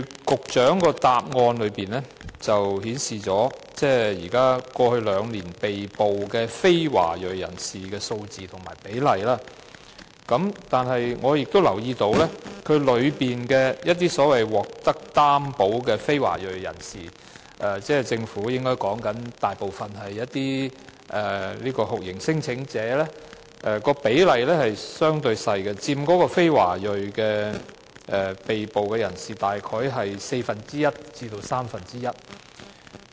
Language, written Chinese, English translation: Cantonese, 局長在主體答覆中列出過去兩年被捕的非華裔人士的數字和比例，我留意到當中所謂獲擔保的非華裔人士，所指的應該大部分是免遣返聲請人，其比例相對較小，佔被捕非華裔人士約四分之一至三分之一。, The Secretary listed the number and ratio of non - ethnic Chinese persons arrested in the past two years in his main reply . I have noticed that the so - called non - ethnic Chinese persons on recognizance meaning mostly non - refoulement claimants accounted for only one fourth to one third of the total number of non - ethnic Chinese persons arrested . The ratio is relatively low